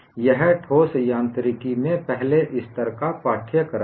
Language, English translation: Hindi, It is a first level course in solid mechanics